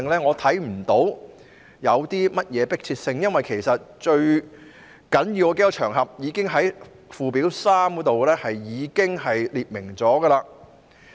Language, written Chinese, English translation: Cantonese, 我看不到當中有何迫切性，因為最重要的那些場合已經在附表3列明。, I do not see any urgency because the most important occasions are already set out in Schedule 3